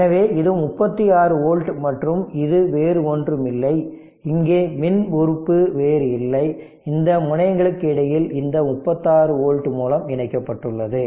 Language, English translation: Tamil, So, and this is 36 volt and this is no other thing is there this is no electrical other just just in between these terminal this 36 volt source is connected